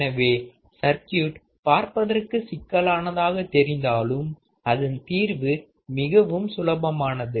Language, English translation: Tamil, So, you see the circuit may look complex, but the solution is very easy